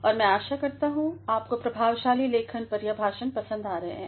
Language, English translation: Hindi, And, I hope you have been enjoying the lectures on effective writing